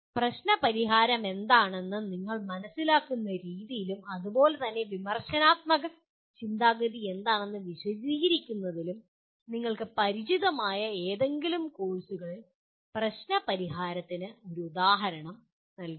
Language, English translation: Malayalam, Give an example of problem solving in any of the courses that you are familiar with in the way you understand what is problem solving and similarly what is critical thinking as it is explained